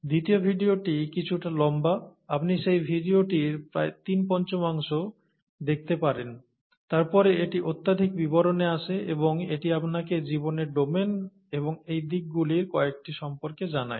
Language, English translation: Bengali, And the second video is slightly longer, about, you could watch about three fifths of that video, then it gets into too much detail and this would tell you all about the domains of life and some of these aspects also